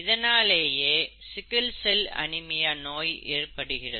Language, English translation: Tamil, And that results in sickle cell anaemia